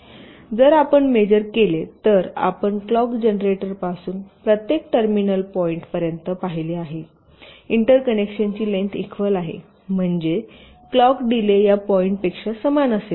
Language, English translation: Marathi, now if you just measure, if you just see from the clock generated up to each of the terminal point, the length of the interconnection is the same, which means the delay of the clocks will be identical up to each of this points